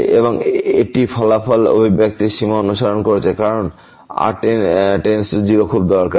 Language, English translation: Bengali, And it is investigating the limit of the resulting expression as goes to 0 is very useful